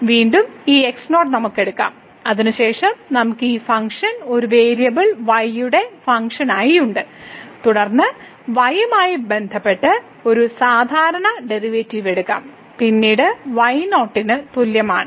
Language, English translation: Malayalam, And again, we can also take like fixing this naught, then we have this function as a function of one variable and then we can take this usual derivative with respect to at is equal to later on